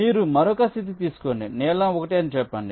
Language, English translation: Telugu, you take another state, lets say blue one